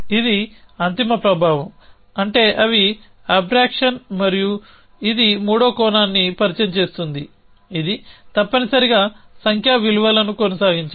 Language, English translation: Telugu, So, that is a end effect that is they were abreaction and that introduces a third dimension which is that of continues numerical values essentially